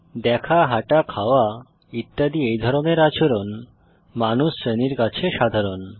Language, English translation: Bengali, Seeing, eating, walking etc are behaviors that are common to the human being class